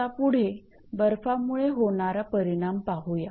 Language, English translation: Marathi, So, this is actually the effect of the ice